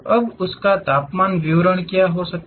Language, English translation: Hindi, Now what might be the temperature distribution of that